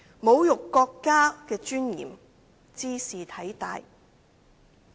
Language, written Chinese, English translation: Cantonese, 侮辱國家的尊嚴，茲事體大。, Insulting national dignity is a matter of enormous import